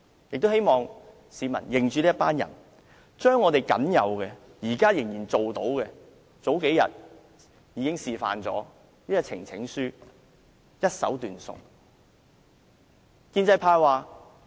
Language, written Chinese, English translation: Cantonese, 我也希望市民認着這些人，他們將我們現在僅有可做的事......他們日前示範了如何將呈請書一手斷送。, I hope members of the public will remember these Members for they have deprived us of our limited means to a few days ago they demonstrated how they ruined the presentation of petition